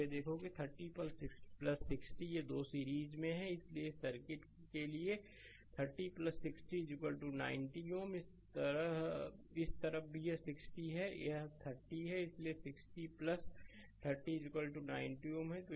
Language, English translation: Hindi, Now, look at that this 30 plus 60 this two are in series; so 30 plus 60 for this circuit is equal to 90 ohm, this side also this is 60 this is 30, so 60 plus 30 is equal to 90 ohm right